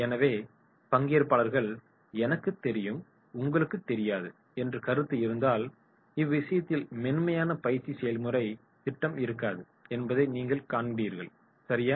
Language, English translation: Tamil, So if the participants are of the opinion “I know, you do not know” so here you will find in that case there will not be the smooth training process right